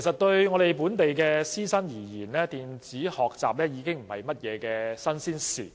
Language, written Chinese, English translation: Cantonese, 對本地師生來說，電子學習不是新鮮事物。, For local teachers and students e - learning is no novelty